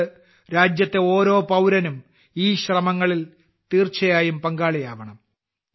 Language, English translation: Malayalam, Hence, every countryman must join in these efforts